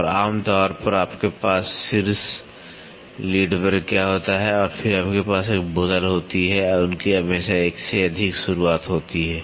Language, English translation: Hindi, And, generally what you have on top lead and then you have a bottle, they will always have a multiple start